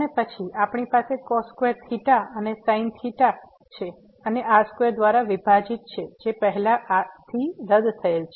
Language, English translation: Gujarati, And then, we have cos square theta and sin theta and divided by square which is already cancelled